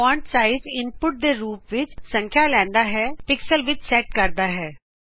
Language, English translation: Punjabi, Fontsize takes number as input, set in pixels